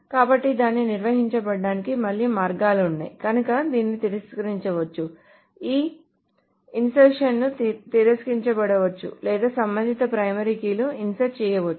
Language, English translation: Telugu, So either this can be rejected, so this insertion can be rejected or the corresponding primary key may be inserted